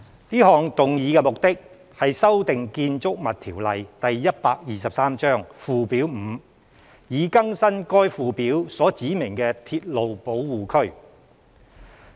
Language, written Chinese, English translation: Cantonese, 這項議案的目的，是修訂《建築物條例》附表 5， 以更新該附表所指明的鐵路保護區。, This motion seeks to amend Schedule 5 to the Buildings Ordinance Cap . 123 to update the railway protection areas specified in that schedule